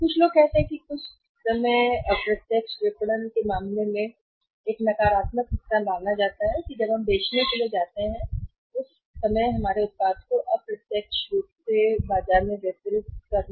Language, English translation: Hindi, Some people say that which is sometime considered as a negative part in case of the indirect marketing that when we go for selling of distributing our product in the market indirectly